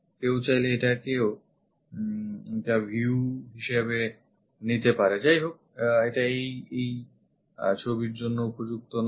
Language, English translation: Bengali, One can pick this one as also one of the view; however, this is not appropriate for this picture